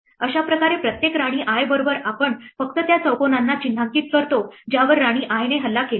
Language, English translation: Marathi, So, in this way with each new queen i that we put we only mark the squares which are attacked by queen i